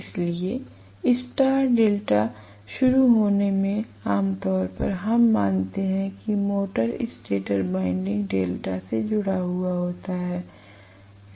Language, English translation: Hindi, So, in star delta starting, normally we assume that the motor stator winding is connected in delta, so this is the motor winding okay